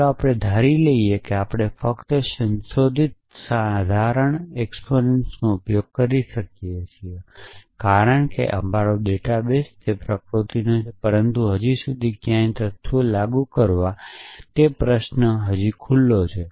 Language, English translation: Gujarati, Let us assume we are using only modified modest exponents because our data is of that nature, but still the question of which facts to apply to is still open